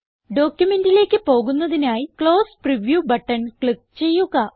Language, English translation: Malayalam, To get back to the original document, click on the Close Preview button